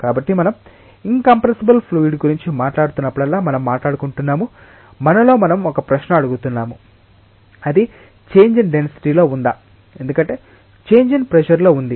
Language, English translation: Telugu, So, whenever we are talking about incompressible fluid we are talking about that we are asking ourselves a question that is there a change in density, because of a change in pressure